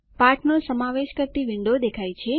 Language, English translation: Gujarati, The window comprising the lesson appears